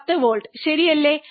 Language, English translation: Malayalam, 10 volts, right